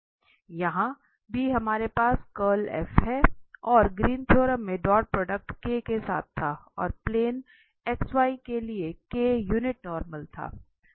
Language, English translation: Hindi, There also we have curl F and in Greens theorem, the dot product was just with the k and k was the unit normal to the plane X Y